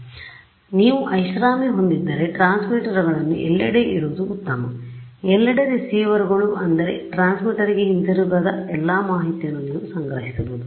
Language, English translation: Kannada, So, if you have the luxury it is better to put transmitters everywhere I mean receivers everywhere so that you can collect all of the information that does not come back to the transmitter